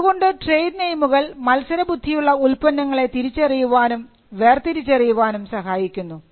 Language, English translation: Malayalam, So, trade names are used to distinguish and to identify competing products